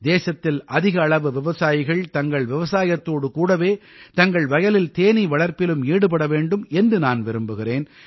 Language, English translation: Tamil, I wish more and more farmers of our country to join bee farming along with their farming